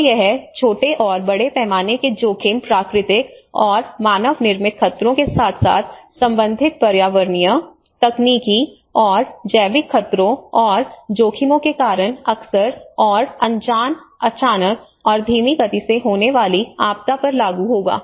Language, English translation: Hindi, So this will apply to the risk of small scale and large scale, frequent and infrequent, sudden and slow onset disaster caused by natural and man made hazards as well as related environmental, technological and biological hazards and risks